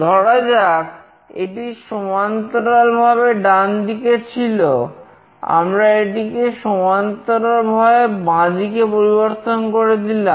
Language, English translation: Bengali, Let us say from horizontally right, we change it to horizontally left